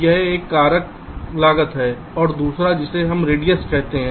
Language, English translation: Hindi, ok, this is one factor, cost, and the second one, which we call as radius: what is radius